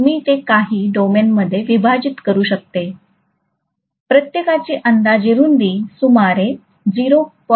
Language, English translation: Marathi, I can divide that into some domains, each one will have roughly a width of about 0